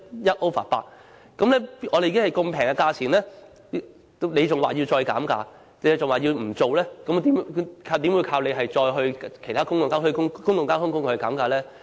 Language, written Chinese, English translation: Cantonese, 如此便宜的價錢，他們還要求再減價，還說不應做，又怎樣依靠他們要求其他公共交通工具減價呢？, The ticket price level of XRL is already being set at a low level but they still ask to have it lowered and even have the project shelved . Then how can we rely on them to ask other public transport companies to reduce fares?